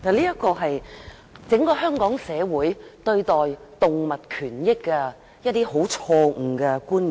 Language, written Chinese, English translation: Cantonese, 這是整個香港社會對待動物權益的一些錯誤觀念。, These are some misperceptions about animal rights in Hong Kong society